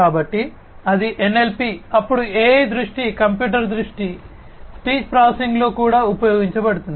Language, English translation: Telugu, So, that is NLP, then AI has also found use in vision computer vision, speech processing etcetera